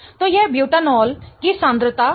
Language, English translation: Hindi, Okay, so that's the concentration of the butanol